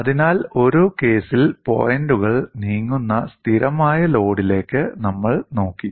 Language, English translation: Malayalam, So, in one case we had looked at constant load, where the points were moving